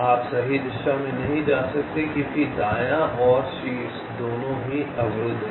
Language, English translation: Hindi, you cannot move in the right direction because right and top, both are blocked